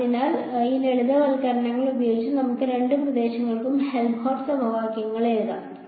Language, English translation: Malayalam, So, with these simplifications made in place let us write down the Helmholtz equations for both the regions ok